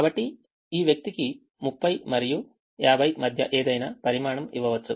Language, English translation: Telugu, so this person can be given any quantity between thirty and fifty